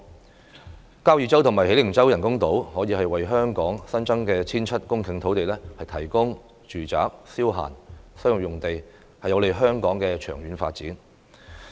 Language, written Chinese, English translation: Cantonese, 在交椅洲和喜靈洲興建人工島，可以為香港新增 1,700 公頃土地，提供住宅、消閒、商業用地，有利香港長遠發展。, The construction of artificial islands near Kau Yi Chau and Hei Ling Chau is beneficial to the long - term development of Hong Kong as it can provide an additional 1 700 hectares of land supply for residential leisure and commercial uses